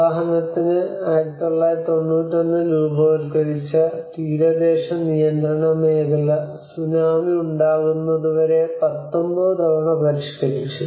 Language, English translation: Malayalam, For example, the coastal regulation zone which was formed in 1991 and revised 19 times until the tsunami have struck